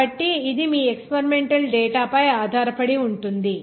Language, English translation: Telugu, So either way, that depends on your experimental data